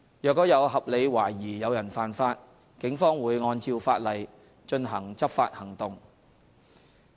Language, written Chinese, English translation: Cantonese, 若有合理懷疑有人犯法，警方會按照法例進行執法行動。, If there is reasonable suspicion of any contravention of law the Police will carry out enforcement according to the law